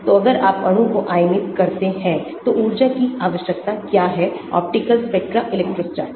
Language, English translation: Hindi, so if you ionize the molecule, what is energy required; optical spectra, electrostatic